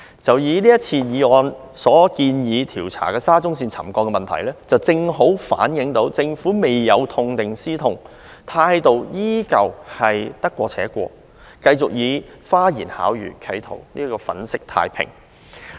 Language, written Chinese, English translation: Cantonese, 就以這項議案建議調查的沙中線沉降問題為例，這正好反映政府未有痛定思痛，態度依然是得過且過，繼續企圖用花言巧語來粉飾太平。, Take this motion proposing an inquiry into the problem of settlement involving SCL as an example it precisely shows that the Government has not learnt any lesson from the bitter experience and still adopts the attitude of muddling through trying to resort to slick talk to gloss over the problems